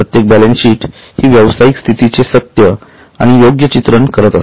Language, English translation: Marathi, Now, every balance sheet shall give a true and fair view of state of affairs